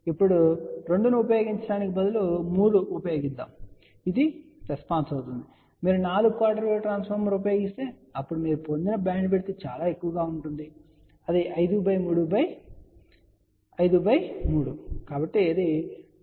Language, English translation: Telugu, Now, instead of using 2, if you use 3 , so this will be the response, if you use 4 quarter wave transformer , then you can see that the bandwidth obtain will be all most 5 by 3 divided by 1 by 3 which will be 1 is to 5 ratio